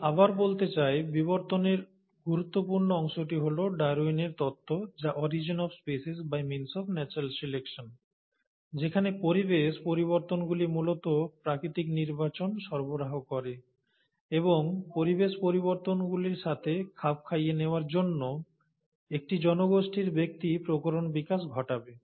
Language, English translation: Bengali, So, I would like to again say, that the crucial part in evolution has been the theory of Darwin, which is the ‘Origin of Species by means of Natural Selection’, where the natural selection is essentially provided by the environmental changes; and in order to adapt to the environmental changes, individuals in a population will develop variations